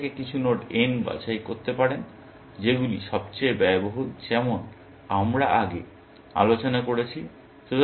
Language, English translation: Bengali, You pick some node from n, may be, the most expensive as we discussed, a little bit earlier